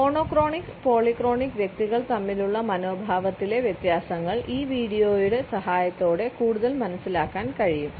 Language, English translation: Malayalam, The differences of attitude between monochronic and polychronic individuals can be further understood with the help of this video